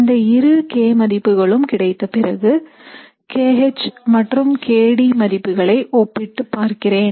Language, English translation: Tamil, So once I have both of these k values, I compare the value of k H versus k D